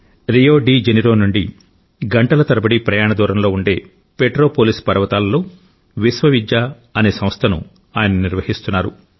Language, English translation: Telugu, He runs an institution named Vishwavidya, situated in the hills of Petropolis, an hour's distance from Rio De Janeiro